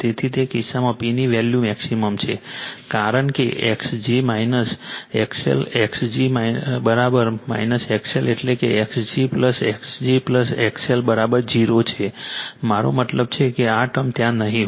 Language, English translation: Gujarati, So, in that case the value of the P is maximum, because x g minus X L x g is equal to minus X L means x g plus x g plus X L is equal to 0 I mean this term will not be there